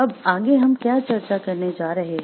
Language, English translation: Hindi, Next, what we are going to discuss